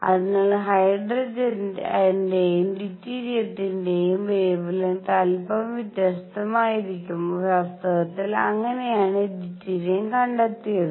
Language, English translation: Malayalam, So, wavelengths for hydrogen and deuterium are going to be slightly different and in fact, that is how deuterium was discovered